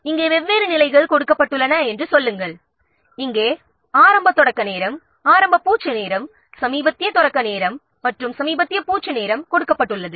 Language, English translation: Tamil, Here these are different stages are given and here the earliest start time, earliest finish time, lattice start time and lattice finish time is given